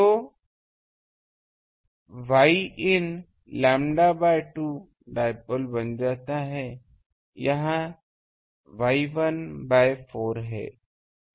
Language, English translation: Hindi, So, Y in becomes for lambda by 2 dipole, this is Y 1 by 4